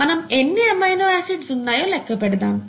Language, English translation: Telugu, And what is an amino acid, okay